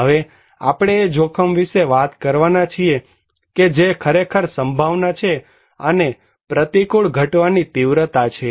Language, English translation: Gujarati, Now, we are talking about that risk is actually the probability and the magnitude of an adverse event